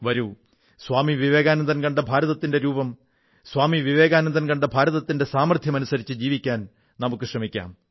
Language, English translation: Malayalam, Come, let us look anew at India which Swami Vivekananda had seen and let us put in practice the inherent strength of India realized by Swami Vivekananda